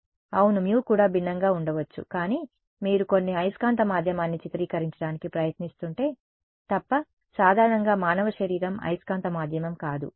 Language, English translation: Telugu, Mu can also be different yeah mu can also be different, but I mean unless you are trying to image some magnetic medium will which is usually like the human body is not a magnetic medium right